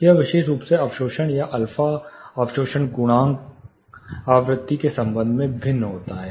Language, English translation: Hindi, This particular absorption are alpha absorption coefficient, varies with respect to frequency